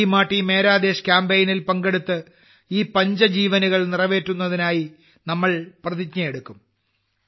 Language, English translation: Malayalam, By participating in the 'Meri Mati Mera Desh' campaign, we will also take an oath to fulfil these 'five resolves'